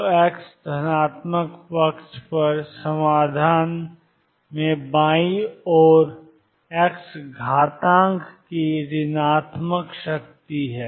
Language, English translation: Hindi, So, on the x positive side, the solution has negative power of the x exponential on the left hand side